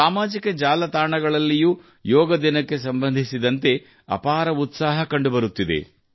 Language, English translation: Kannada, I see that even on social media, there is tremendous enthusiasm about Yoga Day